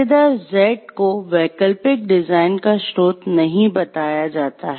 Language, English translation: Hindi, Contractor Z is not told the source of alternative design